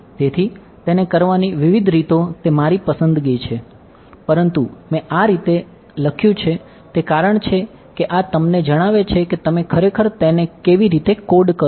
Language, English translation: Gujarati, So, it is my choice there are various ways of doing it, but the reason I have written this in this way is because this is telling you how you would actually code it